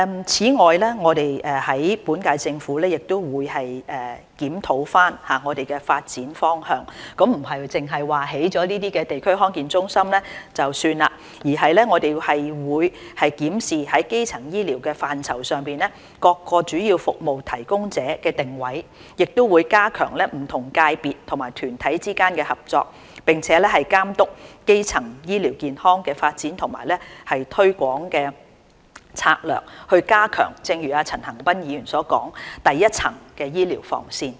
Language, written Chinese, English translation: Cantonese, 此外，現屆政府亦會檢討發展方向，不是說興建了地區康健中心便算了，而是會檢視在基層醫療範疇上各主要服務提供者的定位，加強不同界別及團體之間的合作，並監督基層醫療健康的發展和推廣策略，正如陳恒鑌議員所說，加強第一層醫療防線。, In addition the current - term Government will review the direction of development . Not that building a DHC is enough but the Government will review the role of different key service providers in primary healthcare enhance cross - sectoral and inter - organizational coordination and oversee development and promotion strategies on primary healthcare namely strengthening the first line of defence in healthcare as Mr CHAN Han - pan said